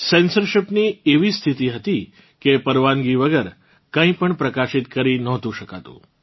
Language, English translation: Gujarati, The condition of censorship was such that nothing could be printed without approval